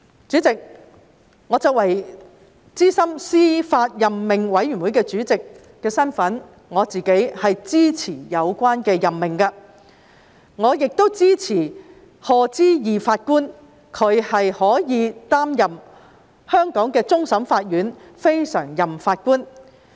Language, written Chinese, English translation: Cantonese, 主席，我作為小組委員會主席，我是支持有關任命的，我亦支持賀知義法官擔任香港終審法院非常任法官。, President as the Chairman of the Subcommittee I support the relevant appointment and I support Lord HODGE to assume the post of CLNPJ of CFA